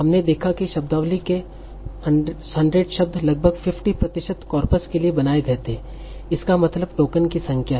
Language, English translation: Hindi, So we saw that roughly 100 words in the vocabulary make for 50% of the corpus